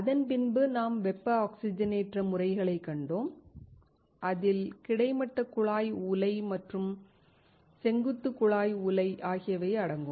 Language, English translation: Tamil, We then saw thermal oxidation methods, which included horizontal tube furnace and vertical tube furnace